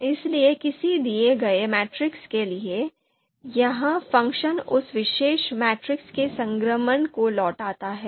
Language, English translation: Hindi, So given a matrix, you know it returns the transpose of that particular matrix